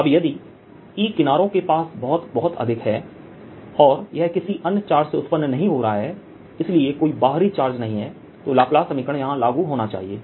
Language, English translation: Hindi, all right now, if e is very, very strong near the edges and there is no, no other charge giving rise to this is laplace equation